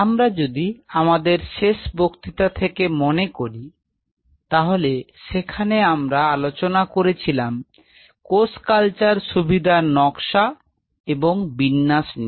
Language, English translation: Bengali, Week last lecture if you recollect we talked about or started talking about the design or the layout of the cell cultural facility